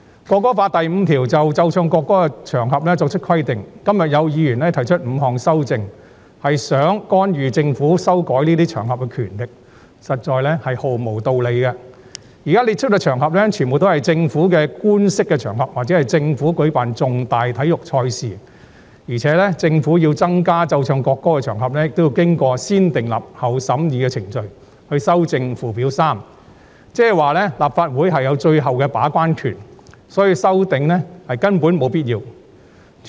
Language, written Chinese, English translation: Cantonese, 《條例草案》第5條就"須奏唱國歌的場合"作出規定，今天有議員提出5項修正案，是想干預修改這些場合的權力，實在毫無道理，因為現在列出的場合全部都是政府的官式場合，或政府舉辦大型體育賽事的場合，而且政府要增加奏唱國歌的場合也要經過"先訂立後審議"的程序以修訂附表 3， 即是說，立法會有最後的把關權，所以這些修正案根本沒有必要。, The five amendments proposed by Members today seeking to intervene in the power to amend these occasions do not hold water because the occasions set out are either official occasions or major sporting events held by the Government . Moreover amendments to Schedule 3 will be subject to negative vetting should the Government wish to increase the number of occasions on which the national anthem has to be played and sung . That is to say the Legislative Council will be the final gatekeeper